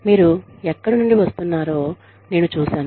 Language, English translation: Telugu, I see, where you are coming from